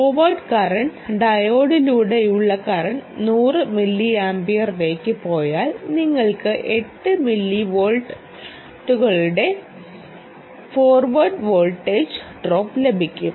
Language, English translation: Malayalam, and if the forward current, the current drawn through the diode, goes up to hundred milliamperes, then you will have a forward voltage drop of about eight millivolts